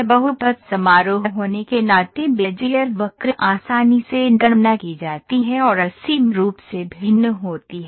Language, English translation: Hindi, Being polynomial function Bezier curve are easily computed and infinitely differentiable